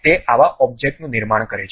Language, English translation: Gujarati, It constructs such kind of object